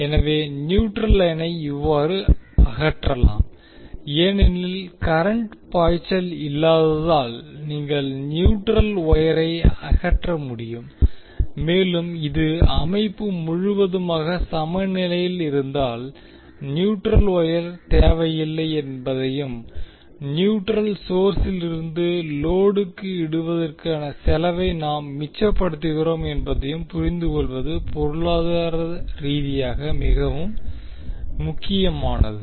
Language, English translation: Tamil, So neutral line can thus be removed because since, there is no current flowing you can remove the neutral wire and this is economically very important to understand that if the system is completely balanced the neutral wire is not required and we save cost of laying the neutral wire from source to load